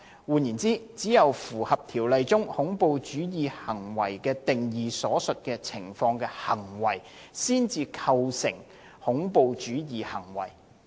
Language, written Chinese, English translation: Cantonese, 換言之，只有符合《條例》中"恐怖主義行為"的定義所述情況的行為，才構成恐怖主義行為。, In other words an act would constitute a terrorist act only if it meets the conditions provided in the definition of a terrorist act in the Ordinance